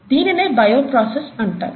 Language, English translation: Telugu, This is what the bioprocess is